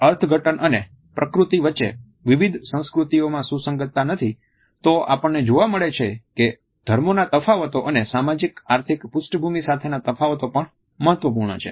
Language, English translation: Gujarati, If the interpretations and nature are not consistent amongst different cultures, we find that the differences of religions and differences with socio economic background are also important